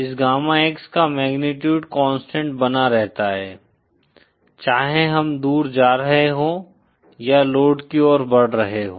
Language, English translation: Hindi, The magnitude of this gamma X keeps constant, whether we are moving away or towards the load towards the load